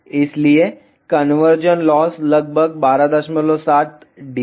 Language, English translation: Hindi, So, conversion loss was around 12